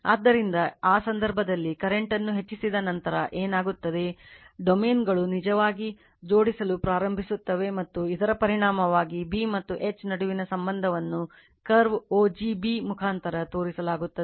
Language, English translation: Kannada, So, in that case, what will happen after going on increasing the current right, the domains actually begins to align and the resulting relationship between B and H is shown by the curve o g b right